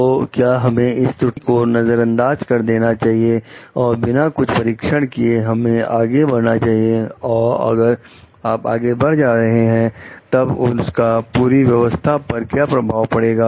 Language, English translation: Hindi, So, even if like can we overlook this error, like and can we just go without testing for something, and if you are going for it, then what will be the impact of that on the total system